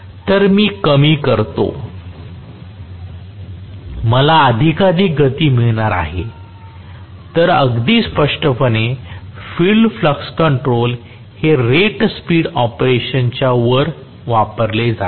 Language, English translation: Marathi, So, I decrease it I am going to get more and more speed, so very clearly, field flux control is used for above rated speed operation